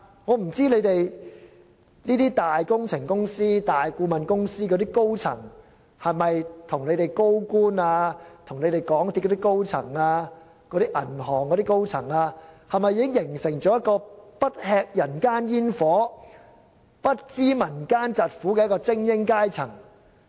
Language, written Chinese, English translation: Cantonese, 我不知道大型工程公司及大型顧問公司的高層是否已經與政府高官、港鐵公司高層和銀行高層形成一個不吃人間煙火、不知民間疾苦的精英階層。, I do not know if the senior management of large construction companies and major consultancy firms have together with senior government officials and senior management of MTRCL and banks formed an elite class so detached from reality that they know nothing about the plights of the masses